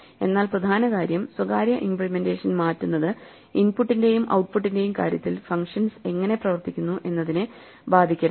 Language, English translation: Malayalam, But the important thing is, changing the private implementation should not affect how the functions behave in terms of input and output